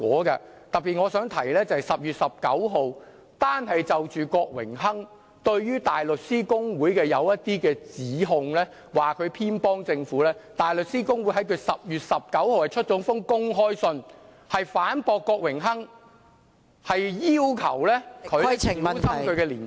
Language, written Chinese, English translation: Cantonese, 我特別想提到的是，就郭榮鏗議員對於大律師公會所作的一些指控，說它偏幫政府，大律師公會在10月19日發表了一封公開信，反駁郭議員，要求他小心其言論......, I especially want to mention the accusation from Mr Dennis KWOK against the Bar Association that the Bar Association is biased in favour of the Government . On 19 October the Bar Association issued an open letter to rebuke Mr KWOK asking him to be careful with his remarks